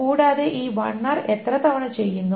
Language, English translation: Malayalam, And how many times this LR is being done